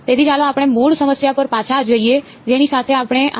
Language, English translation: Gujarati, So, let us go back to the very original problem that we started with further for